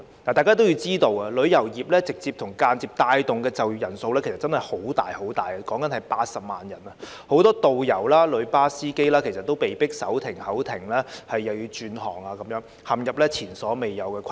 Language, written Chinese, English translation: Cantonese, 大家皆知道，旅遊業直接及間接帶動的就業人數相當龐大，約80萬人，很多導遊及旅遊巴司機被迫手停口停或需轉行，陷入前所未有的困境。, As we all know the tourism industry has directly and indirectly taken on a very large share of the workforce or around 800 000 workers . Many tourist guides and drivers of tour service coaches have been forced out of work and hence not being able to make ends meet or they have to switch to other industries facing unprecedented difficulties